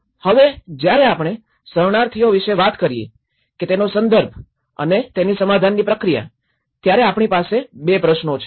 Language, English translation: Gujarati, Now, when we talk about the refugee, the context of a refugee and his or her settlement process, so we have two questions